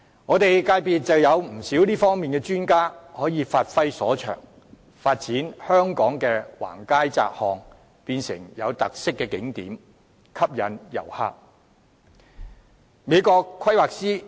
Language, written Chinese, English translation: Cantonese, 我的界別有不少這方面的專家可以發揮所長，發展香港的橫街窄巷，把它們變成有特色的景點，吸引旅客。, There are in my sector many experts in this area who can bring their skills into full play developing those narrow lanes and alleys in Hong Kong and converting them into distinctive scenic spots that draw tourists